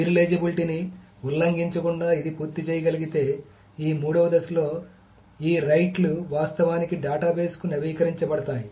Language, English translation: Telugu, So if it can complete without violating the serializability, then in this third phase, these rights are actually updated to the database